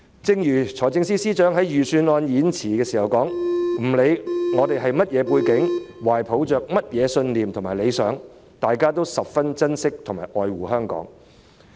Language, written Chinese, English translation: Cantonese, 正如財政司司長在預算案演辭中提到，不管市民是甚麼背景、懷抱甚麼信念和理想，大家都十分珍惜和愛護香港。, As indicated by the Financial Secretary in the Budget Speech no matter what our backgrounds beliefs and aspirations are we all cherish and love Hong Kong